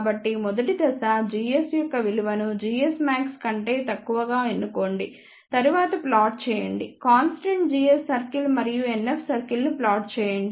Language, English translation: Telugu, So, the first step is choose the value of g s which is less than g s max then plot the constant g s circle and also plot NF circle